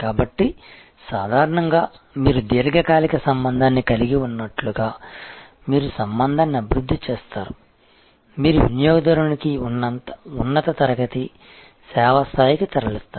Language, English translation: Telugu, So, normally you actually as you develop the relationship as you have a longer term relationship, you move the customer to a higher tier of service level